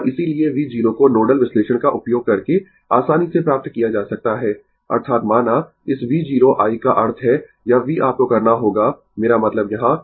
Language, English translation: Hindi, And therefore, V 0 can easily be obtained using nodal analysis; that means, suppose, this ah V 0 i mean this V you have to I mean ah here